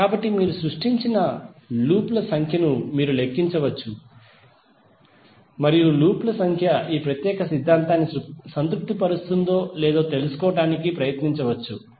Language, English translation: Telugu, So you can count number of loops which you have created and try to find out whether number of loops are satisfying this particular theorem or not